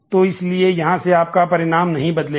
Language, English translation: Hindi, So, your result henceforth will not change